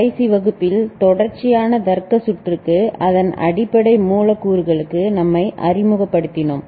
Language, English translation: Tamil, In the last class we introduced ourselves to sequential logic circuit, the fundamental primary elements of it